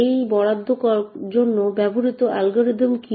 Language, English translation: Bengali, What are the algorithms used for this allocation